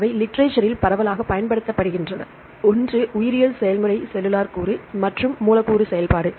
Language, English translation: Tamil, They are widely used in the literature, one is a biological process cellular component and molecular function